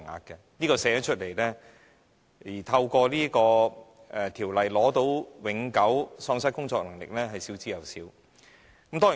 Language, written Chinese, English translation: Cantonese, 這點雖然列明出來，但透過《條例》獲得永久喪失工作能力的補償的人是少之有少。, Although the relevant provisions have been stipulated in the Ordinance only a few patients have been granted the compensation for permanent incapacity